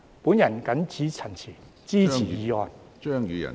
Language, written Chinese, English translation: Cantonese, 我謹此陳辭，支持議案。, With these remarks I support the motion